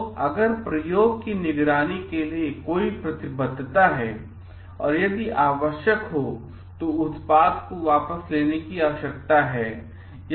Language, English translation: Hindi, So, if there is any commitment to monitor the experiment and if necessary is there a need to recall the product